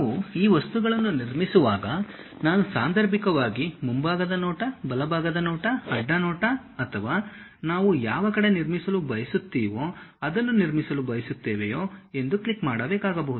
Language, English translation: Kannada, When we are constructing these objects we may have to occasionally click whether I would like to construct front view, right view, side view or on which side we would like to construct